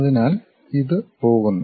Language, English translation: Malayalam, So, it goes and this